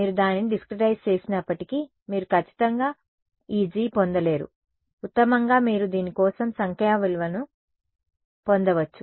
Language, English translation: Telugu, Even if you discretize it you cannot get a you can definitely not get a analytical expression for this G at best you can get numerical values for this